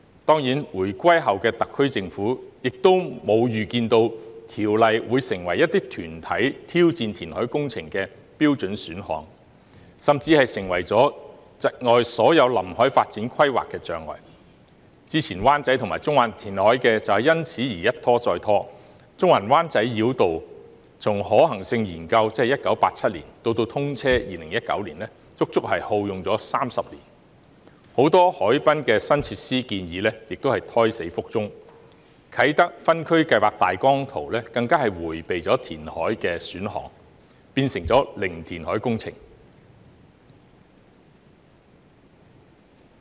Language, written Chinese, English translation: Cantonese, 當然，回歸後的特區政府亦沒有預料到《條例》會成為一些團體挑戰填海工程的標準選項，甚至成為了窒礙所有臨海發展規劃的障礙，之前灣仔和中環的填海計劃，便因而一拖再拖，中環灣仔繞道從可行性研究直至通車，足足耗用了30年，很多海濱新設施的建議亦胎死腹中，啟德分區計劃大綱圖更迴避了填海的選項，變成零填海工程。, Certainly the post - reunification Special Administrative Region Government did not foresee that the Ordinance would become a standard option for some groups to challenge reclamation projects and even an obstacle to all waterfront development plans . The previous reclamation projects in Wan Chai and Central have consequently been delayed time and again . The Central - Wan Chai Bypass has taken as long as 30 years from the feasibility study ie